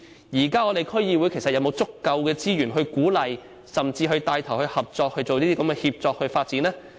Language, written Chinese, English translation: Cantonese, 現時區議會究竟有否足夠資源鼓勵甚至牽頭進行這類協作發展呢？, I wonder whether DCs have sufficient resources to encourage or even take the lead in such collaborative development?